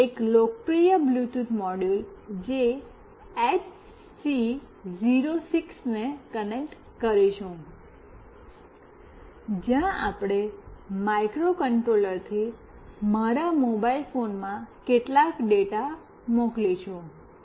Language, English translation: Gujarati, We will be connecting a popular Bluetooth module that is HC 06, where we will be sending some data from the microcontroller to my mobile phone